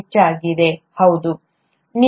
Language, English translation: Kannada, Mostly yes, okay